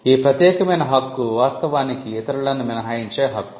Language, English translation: Telugu, The exclusive right is actually a right to exclude others